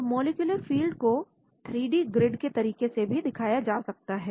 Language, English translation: Hindi, So the molecular field may be represented by a 3D grid